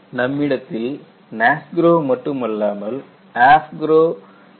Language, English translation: Tamil, You know, you do not have only NASGRO; you also have AFGROW version 4